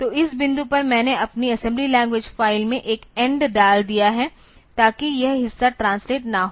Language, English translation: Hindi, So, at this point I put an end in my assembly language file so, that this part is not translated